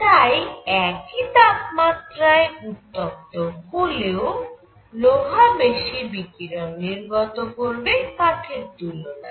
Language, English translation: Bengali, So, iron when heated to a certain temperature would emit much more radiation than a piece of wood